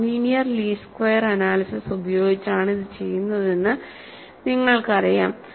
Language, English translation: Malayalam, And you know this is done by a non linear least squares analysis